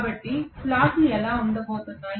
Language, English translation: Telugu, So this is how the slots are going to be